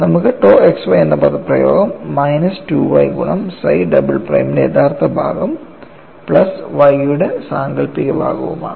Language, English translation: Malayalam, So, tau xy becomes x imaginary part of psi double prime minus y real part of psi double prime plus imaginary part of chi double prime